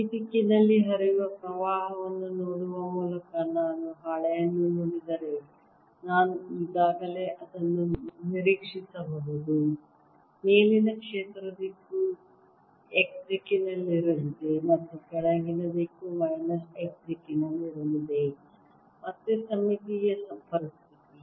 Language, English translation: Kannada, if i look at the sheet, by looking at the current which is flowing in this direction, i can already anticipate that field in the upper direction is going to be in the x direction and the lower direction is going to be minus direction